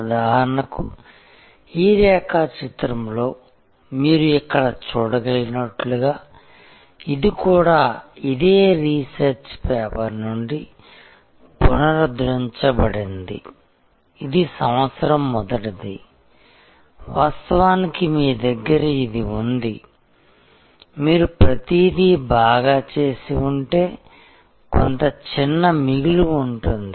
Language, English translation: Telugu, For example, as you can see here in this diagram, this is also reprinted from that same research paper that this is year one, where actually you just have, if you have done everything well then some small surplus